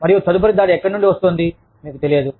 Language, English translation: Telugu, You do not know, where the next attack is coming from